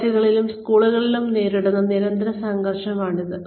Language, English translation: Malayalam, This is the constant struggle, that colleges and schools face